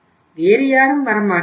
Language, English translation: Tamil, Nobody else will come